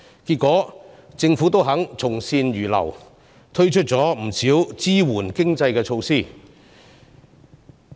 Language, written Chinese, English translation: Cantonese, 結果，政府願意從善如流，推出不少支援經濟的措施。, Eventually the Government was willing to take our advice and introduce a number of measures to support the economy